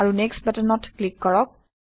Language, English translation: Assamese, And click on the Next button